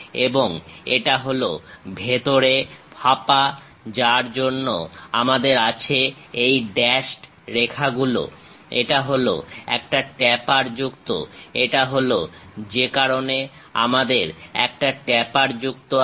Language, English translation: Bengali, And it is hollow inside that for that we have this dashed lines; this is a tapered one that is the reason we have that tapered one